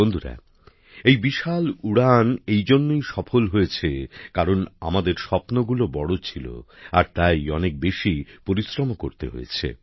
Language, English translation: Bengali, Friends, we have accomplished such a lofty flight since today our dreams are big and our efforts are also big